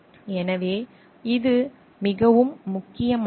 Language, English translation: Tamil, So, that is very important